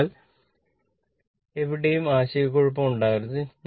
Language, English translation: Malayalam, So, there should not be any confusion anywhere